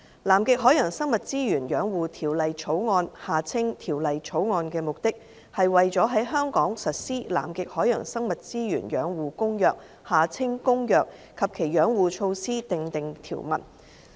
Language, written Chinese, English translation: Cantonese, 《南極海洋生物資源養護條例草案》的目的，是為了在香港實施《南極海洋生物資源養護公約》及其養護措施訂定條文。, The Conservation of Antarctic Marine Living Resources Bill the Bill seeks to implement the Convention on the Conservation of Antarctic Marine Living Resources and its conservation measures in Hong Kong